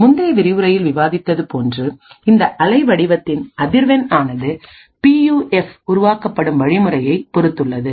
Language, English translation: Tamil, As discussed in the previous lecture the frequency of this waveform is a function of these manufacturing process of this PUF